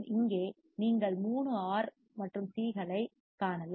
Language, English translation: Tamil, Here you can see 3 R and Cs right